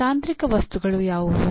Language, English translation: Kannada, What are the technical objects